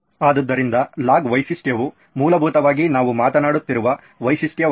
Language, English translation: Kannada, So log feature would be essentially the feature that we are talking about